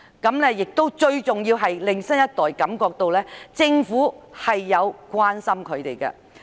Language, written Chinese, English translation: Cantonese, 最重要的是，此舉可令新一代感到政府確實關心他們。, Most importantly this will make the new generation feel that the Government really cares for them